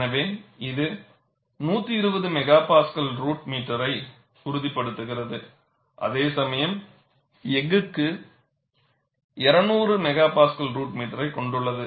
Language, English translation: Tamil, So, it stabilizes around 120 M p a root meter, whereas it can go as high has around 200 M p a root meter for steel